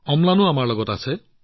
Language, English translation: Assamese, Amlan is also with us